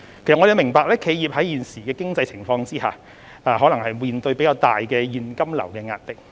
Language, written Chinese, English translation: Cantonese, 政府明白企業在現時的經濟情況下，或會面對較大的現金流壓力。, The Government understands that enterprises may face greater cash flow pressure under the current economic conditions